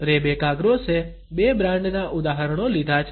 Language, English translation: Gujarati, Rebecca Gross has taken examples of two brands